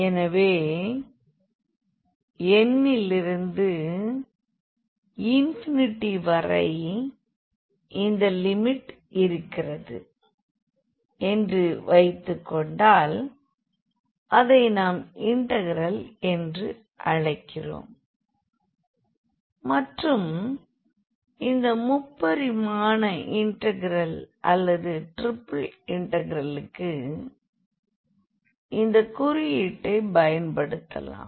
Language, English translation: Tamil, So, taking if this limit exists as n approaches to infinity in that case we call this as integral and the notation for this integral in the 3 dimensional case or for the triple integral we use this notation